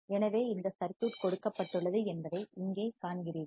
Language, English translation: Tamil, So, you see here this circuit is given